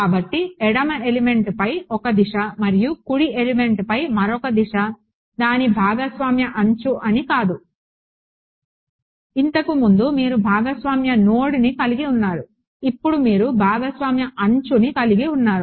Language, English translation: Telugu, So, it's not that there is one direction on the left element and another direction on the right element its a shared edge, earlier you had a shared node now you have a shared edge